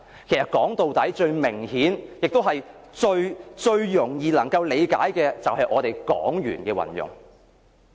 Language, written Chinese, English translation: Cantonese, 其實，說到底，最明顯亦最容易理解的是我們港元的運用。, After all the most apparent and easiest aspect to see is that we use Hong Kong dollars